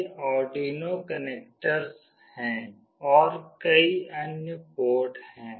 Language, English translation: Hindi, These are the Arduino connectors and there are many other ports